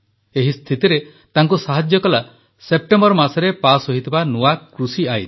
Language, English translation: Odia, In this situation, the new farm laws that were passed in September came to his aid